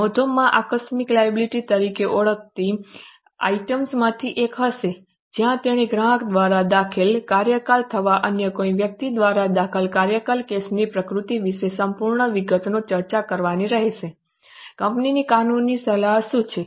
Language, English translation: Gujarati, In the notes there will be one of the items known as contingent liability where they will have to disclose full details as to the nature of case filed by the customer or filed by any other person, what is the legal advice to the company on the likely charges and so on